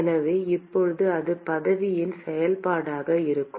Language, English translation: Tamil, So, now that is going to be a function of position